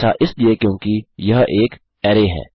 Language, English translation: Hindi, Thats because this is an array